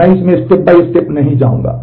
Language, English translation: Hindi, I will not go through it step by step